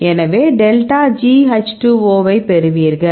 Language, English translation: Tamil, So, you get the, a delta G H 2 O right